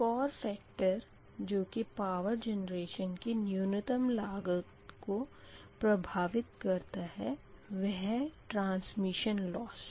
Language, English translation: Hindi, so another factor that influence the power generation at minimum cost is a transmission loss, right